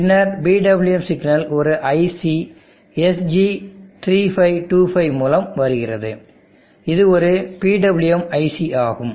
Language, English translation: Tamil, And then the PWM signal is coming from an IC SG3 525, it is a PWM IC